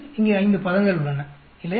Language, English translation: Tamil, There are 5 terms here, right